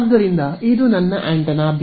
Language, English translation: Kannada, So, this is antenna A ok